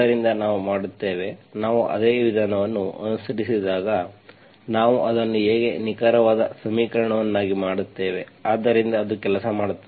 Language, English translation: Kannada, So then we do, when we follow the same procedure, how we make it an exact equation, so it will work